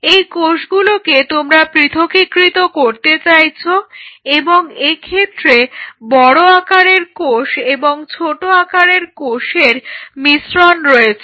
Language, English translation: Bengali, So, these are the cells which you want to separate out and it has a mix of bigger cells smaller cells even a smaller cell, small cells